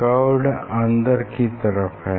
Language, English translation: Hindi, Curve surface is inside